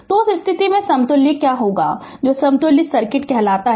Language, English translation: Hindi, So, what will be the equivalent your what you call equivalent circuit in that case